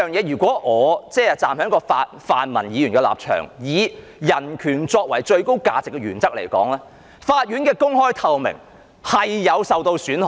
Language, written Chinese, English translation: Cantonese, 如果我站在泛民議員的立場，以人權作為最高價值的原則，法庭的公開和透明度會受到損害。, If I consider this issue from the perspective of the pan - democratic Members taking human rights as the foremost principle I would say that the openness and transparency of the court will be compromised